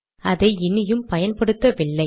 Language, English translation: Tamil, We are not using that anymore